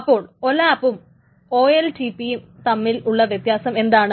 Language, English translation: Malayalam, So what is OLAP essentially versus OLTP